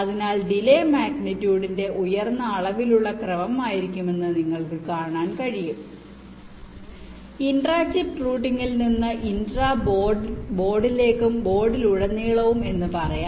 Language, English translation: Malayalam, so you can see that the delay can be of the order of the magnitude higher as we go, for you can say intra chip routing to intra boards and across boards